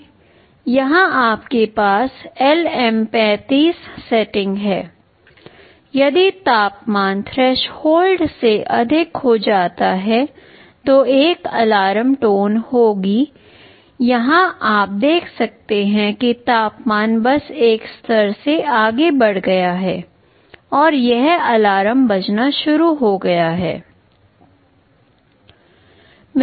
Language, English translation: Hindi, Here you have the LM35 setting; if temperature exceeds the threshold, there will be an alarm tone here you see the temperature has just increased beyond a level and this alarm has started to ring